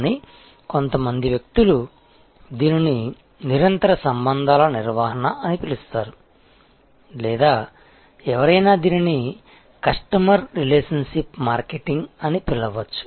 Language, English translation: Telugu, But, some peoples call it continuous relationship management or it may somebody may call it customer relationship marketing